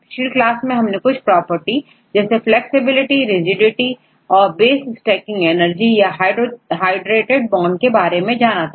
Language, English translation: Hindi, Last class we discussed only few properties right mainly the flexibility or rigidity or the base stacking energy or hydrated bond